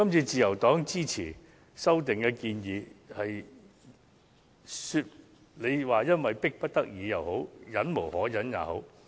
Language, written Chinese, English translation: Cantonese, 自由黨支持這次的修訂建議，你們也許會認為我們是迫不得已，甚或忍無可忍。, People may think that the Liberal Party supports the current amendments because its members have no other choice or find the situation intolerable